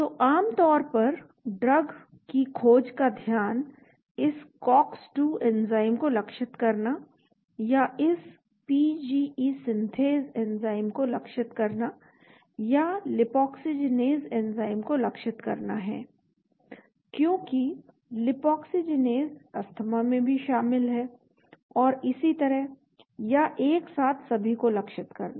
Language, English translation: Hindi, So generally the focus of the drug discovery has been targeting this COX2 enzyme or targeting this PGE Synthase enzyme or targeting the lipoxygenase enzyme, because lipoxygenase is also involved in Asthma and so on or simultaneously targeting all